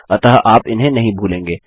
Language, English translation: Hindi, So you wont forget them